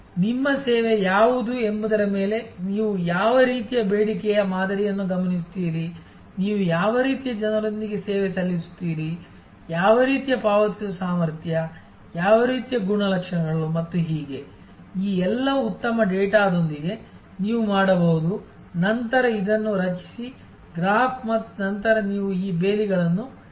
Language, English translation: Kannada, So, all will depend on what is your service what kind of demand patterns you observe, what kind of people you serve with, what kind of paying capacity, what kind characteristics and so on, with all these good data you can, then create this graph and then you can create this fences